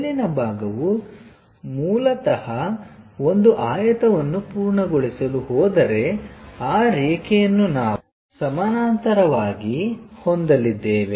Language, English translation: Kannada, On the top side is basically, if I am going to complete a rectangle whatever that line we are going to have parallel to that